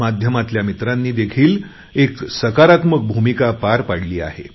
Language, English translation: Marathi, Friends in the media have also played a constructive role